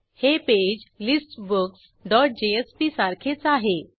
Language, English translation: Marathi, This page is similar to that of listBooks dot jsp